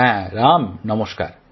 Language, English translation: Bengali, Yes Ram, Namaste